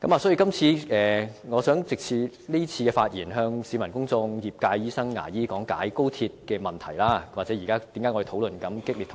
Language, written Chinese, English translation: Cantonese, 所以，我想藉今次發言，向市民公眾和業界的醫生、牙醫講解高鐵的問題：為何現時我們在激烈討論？, Through the speech today I would like to explain the question of XRL to the public as well as to the fellow doctors and dentists of my industry Why do we have a heated discussion here?